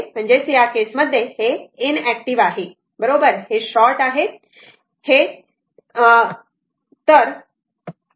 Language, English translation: Marathi, So, in that case this is in active right it is short it is shorted